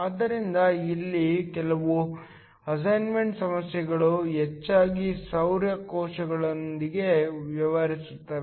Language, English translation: Kannada, So, some of the assignment problems here will mostly deal with solar cells